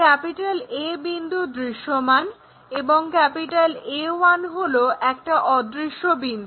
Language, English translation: Bengali, Point A is visible A 1 is invisible point